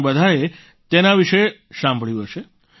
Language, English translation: Gujarati, You all must have heard about it